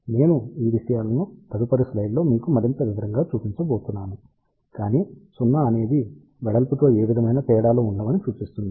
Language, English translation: Telugu, I am going to show you these things in more detail in the next slide, but 0 implies no variation along the width